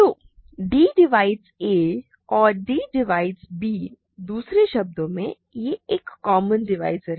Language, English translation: Hindi, So, d divides a and d divides b; in other words it is a common divisor